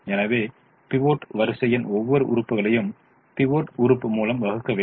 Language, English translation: Tamil, so divide every element of the pivot row by the pivot element